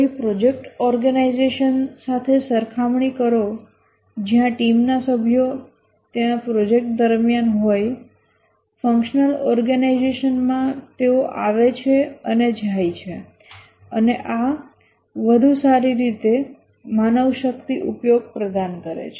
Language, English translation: Gujarati, Compared to a project organization where the team members are there throughout the project in a functional organization they come and go and this provides better manpower utilization